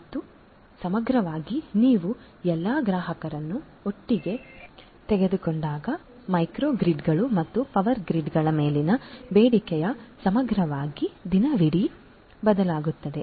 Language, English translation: Kannada, And holistically as well when you take all the customers together the demand on the micro grids and the power grids holistically that is also going to vary over time throughout the day